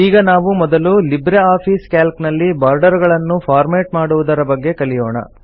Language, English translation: Kannada, First let us learn about formatting borders in LibreOffice Calc